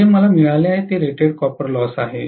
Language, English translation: Marathi, What I have got is rated copper loss